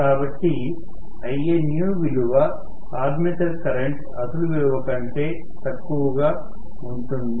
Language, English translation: Telugu, So, Ianew will be less than the original value of armature current